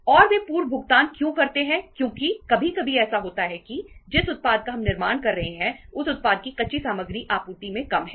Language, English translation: Hindi, And why they make the prepayments because sometimes it happens that the product that we are manufacturing the raw material of that product is is scarce in supply that is short in supply